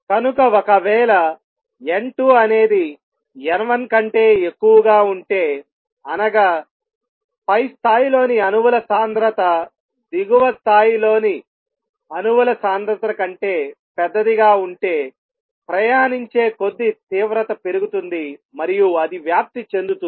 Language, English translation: Telugu, So if n 2 is greater than n 1 that is the density of the atoms in the upper level is larger than the density of atoms in lower level intensity is going to increase as like travels and it gets amplified